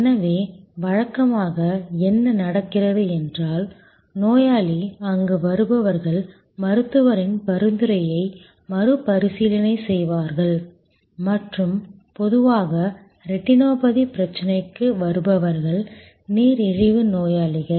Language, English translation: Tamil, So, usually what happens is that the patient comes in there are paramedic personal who will review the referral from the doctor and usually the people who are coming for retinopathy problem they are diabetic patients